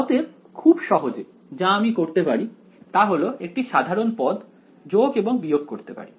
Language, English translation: Bengali, So, very simply what I can do is let me add and subtract a common term